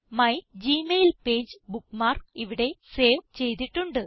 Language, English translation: Malayalam, The mygmailpage bookmark is saved there